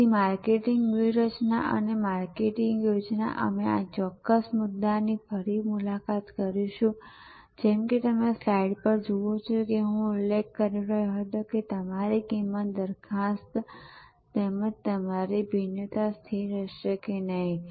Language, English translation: Gujarati, So, marketing strategy and marketing plan we will revisit this particular issue and as I was mentioning as you see on the slide, that your value proposition as well as your differentiation will not be static